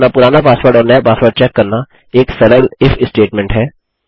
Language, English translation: Hindi, Checking our old passwords and our new passwords is just a simple IF statement